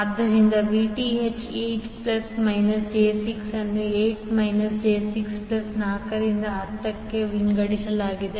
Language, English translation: Kannada, So, Vth will be nothing but 8 plus minus j 6 divided by 8 minus j 6 plus 4 into 10